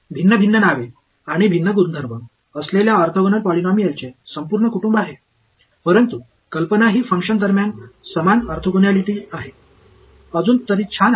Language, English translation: Marathi, There is a entire family of orthogonal polynomials with different different names and different properties, but the idea is the same orthogonality between functions ok; so far so good